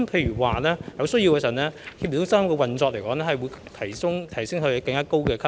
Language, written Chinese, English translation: Cantonese, 如有需要，協調中心的運作更會提升至更高級別。, The operation of the coordination centre will be upgraded to a higher level if necessary